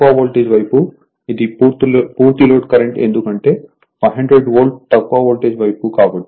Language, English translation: Telugu, This is full load current at the low voltage side because 500 volt on the low voltage side right